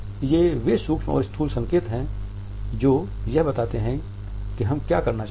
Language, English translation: Hindi, These are those micro and macro signals which illustrate what we want to say